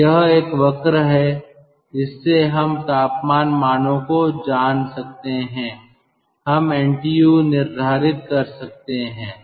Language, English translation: Hindi, so this is one curve from which we can, knowing the temperature values, we can determine ntu